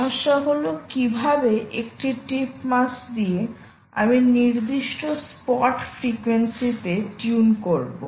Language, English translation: Bengali, the problem is: how do i tune to a given tune, to a given spot frequency